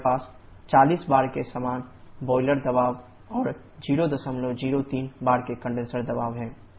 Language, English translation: Hindi, We have the same boiler pressure of 40 bar and condenser pressure of 0